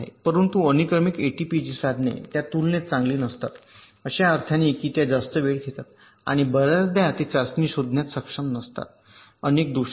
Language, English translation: Marathi, but sequential a t p g tools are, in comparison, not that good in terms in the sense that they take much more time and they are often not able to detect the test for many of the faults